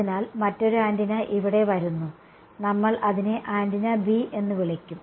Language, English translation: Malayalam, So, another antenna comes in over here we will call it antenna B ok